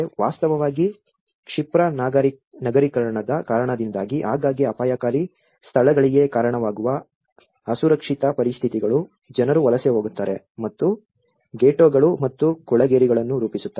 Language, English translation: Kannada, In fact, the unsafe conditions which often result in the dangerous locations because of the rapid urbanization people tend to migrate and form ghettos and slums